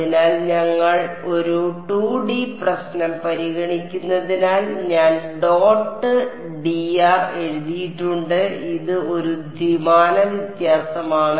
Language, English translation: Malayalam, So, I have written dot d r since we are considering a 2D problem this is a two dimensional differential